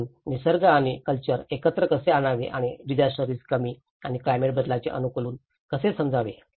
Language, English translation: Marathi, So, this is where how to bring nature and culture together and understand in the disaster risk reduction and the climate change adaptation